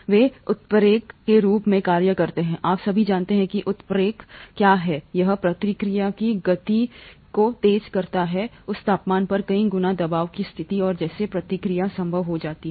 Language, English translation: Hindi, They act as catalysts, you all know what a catalyst does, it speeds up the rate of the reaction several fold at that temperature pressure condition and thereby makes the reaction possible